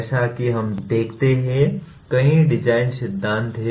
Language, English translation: Hindi, So there are several design theories as we see